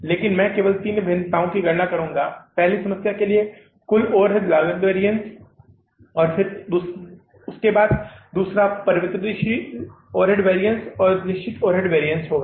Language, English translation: Hindi, Now we have learned about that how to calculate these three variances, total overhead cost variance, variable overhead cost variance and the fixed overhead cost variance